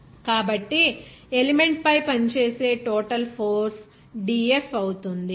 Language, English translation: Telugu, So, total force acting on the element will be dF